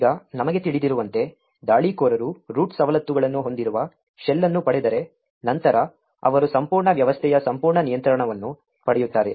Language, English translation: Kannada, Now, as we know if the attacker obtains a shell with root privileges then he gets complete control of the entire system